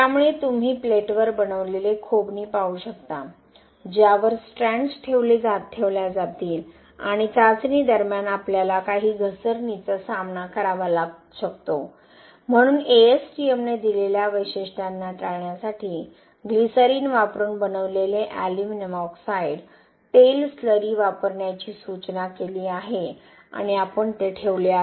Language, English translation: Marathi, So you can see the grooves made on the plate on which strands will be placed and during testing we may face some slipping, so to avoid that ASTM specifications has given to, suggested to use aluminium oxide oil slurry made using glycerine and we have placed the clamp at both ends make sure that the, this strand is not slipping or rotating during the testing